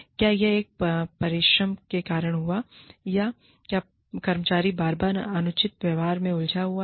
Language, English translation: Hindi, Did this happen, because of an exigency, or is the employee, repeatedly engaging in unreasonable behavior